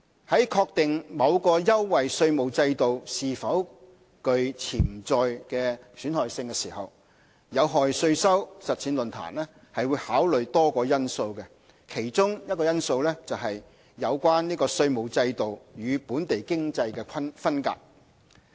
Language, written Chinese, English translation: Cantonese, 在確定某優惠稅務制度是否具潛在損害性時，有害稅收實踐論壇會考慮多個因素，其中一個因素是"有關稅務制度與本地經濟分隔"。, In determining whether a preferential tax regime is potentially harmful FHTP would take into account a number of factors one of which is that the regime is ring - fenced from the domestic economy